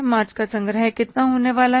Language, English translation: Hindi, March collections are going to be how much